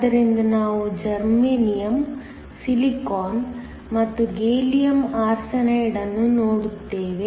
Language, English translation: Kannada, So, we will look at Germanium, Silicon and Gallium Arsenide